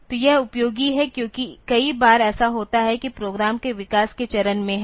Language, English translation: Hindi, So, this is useful because many times what happens is that in the development phase of the program